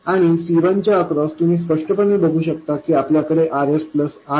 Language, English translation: Marathi, And across C1 you clearly see that we have RS plus RN